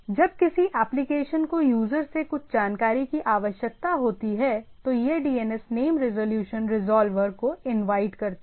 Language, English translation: Hindi, When application needs some information from the user, it invokes DNS name resolution resolver